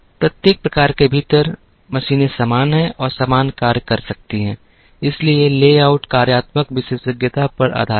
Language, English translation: Hindi, Within each type, the machines are similar and can perform the same functions, so the layout is based on functional specialization